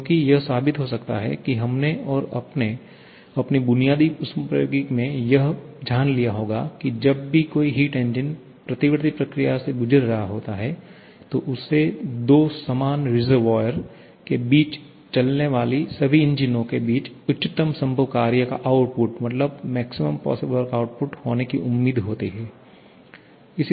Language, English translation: Hindi, Because it can we proved that and you must have learnt that in your basic thermodynamics that whenever a heat engine is undergoing a reversible process, then it is expected to produce the highest possible work output among all the engines operating between the same two reservoirs